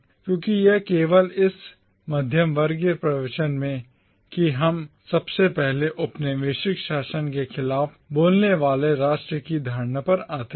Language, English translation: Hindi, Because it is only in this middle class discourse that we first come across the notion of a nation speaking out against the colonial rule